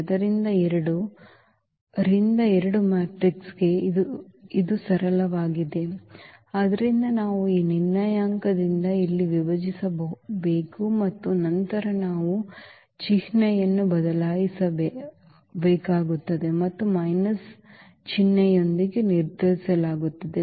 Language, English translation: Kannada, So, for 2 by 2 matrix it is simple, so we have to divide here by this determinant and then we need to change the sign and determined will be again with minus sign